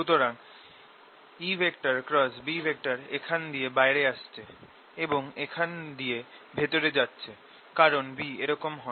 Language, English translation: Bengali, e cross b is coming out here and going in here, because b is like this